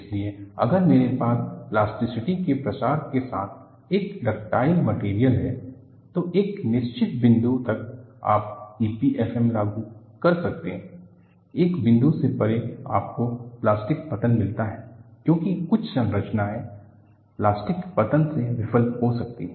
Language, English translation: Hindi, So, if I have a ductile material with spread of plasticity, until a certain point you can apply E P F M, beyond a point you need to go for plastic collapse; because certain structures can fail by plastic collapse